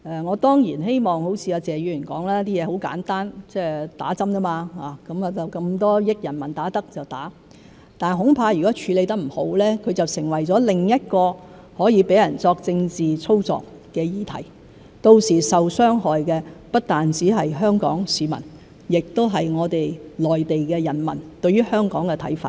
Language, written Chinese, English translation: Cantonese, 我當然希望如謝議員所說，事情很簡單，打針而已，那麼多億的人民可以打，那我們也打；但恐怕如果處理得不好，就成為了另一個可以讓人作政治操作的議題，到時候受傷害的不單是香港市民，亦影響內地的人民對於香港的看法。, Of course it is my hope that as Mr TSE has said the matter is so simple that it is all about vaccination . Since so many hundreds of millions of people can receive jabs we can do the same; however I am afraid that if the matter is not handled properly it will become another issue that can be used for political manoeuvring . In that case not only will Hong Kong people suffer but Mainland peoples perception of Hong Kong will also be affected